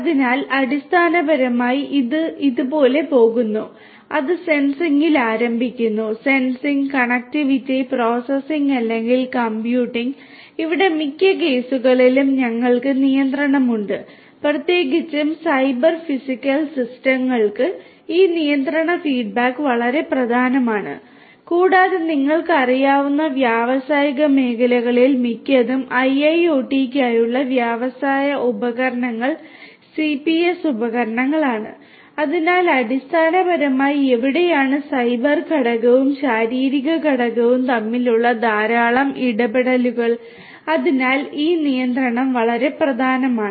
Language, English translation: Malayalam, So, basically it goes on like this that it starts with sensing; sensing, connectivity, processing or computing and here we have the control in most of the cases particularly with Cyber Physical Systems this control feedback is very important and most of the industrial you know industrial equipments for IIoT are CPS equipments, so, basically where there is a lot of interaction between the cyber component and the physical component and so, this control is very important